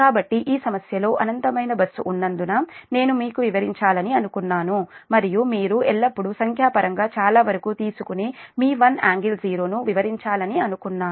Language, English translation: Telugu, so because in this problem that infinite bus is there, that's why i thought i should explain you and most of the numerical this that you always take that your one angle, zero